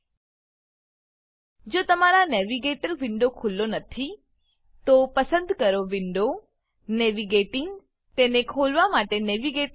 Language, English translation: Gujarati, If your Navigator window is not open, choose Window, Navigating, a Navigator to open it.